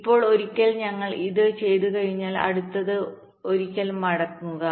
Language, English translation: Malayalam, ok, now, once we have done this, next, ok, just going back once